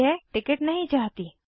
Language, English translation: Hindi, I dont want this ticket